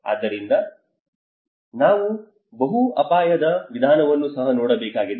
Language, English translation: Kannada, So now we have to look at the multi hazard approach as well